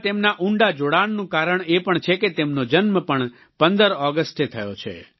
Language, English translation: Gujarati, Another reason for his profound association with India is that, he was also born on 15thAugust